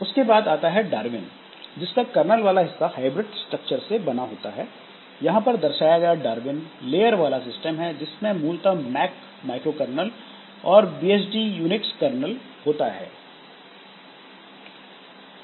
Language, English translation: Hindi, Then Darwin, so Darwin it is a hybrid structure, the kernel part and it and is shown Darwin is a layered system which consists of primarily the, consists primarily the MAC micro kernel and BSD Unix kernel